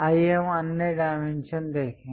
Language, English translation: Hindi, Let us look at other dimensioning